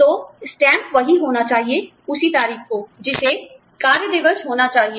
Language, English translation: Hindi, So, the stamp should be the same, on the same date, which has to be working day